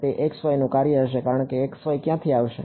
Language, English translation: Gujarati, It is going to be a function of x y because whereas, where is the x y going to come from